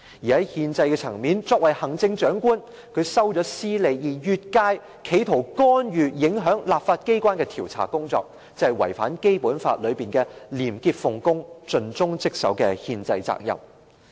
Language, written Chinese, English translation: Cantonese, 在憲制層面，作為行政長官，他收取私利，並越界企圖干預、影響立法機關的調查工作，便是違反《基本法》規定的廉潔奉公、盡忠職守的憲制責任。, In respect of the constitution as the Chief Executive his acceptance of private interests and attempt to interfere with or affect the legislatures inquiry constitute the violation of his constitutional duty under the Basic Law which requires him to be a person of integrity dedicated to his duties